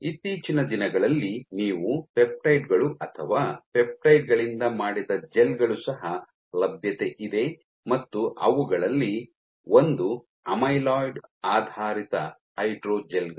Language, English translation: Kannada, Nowadays you also have peptides or materials gels made of peptides and one of them is amyloid based hydrogels